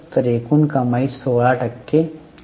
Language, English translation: Marathi, So, total revenue again has a 16% fall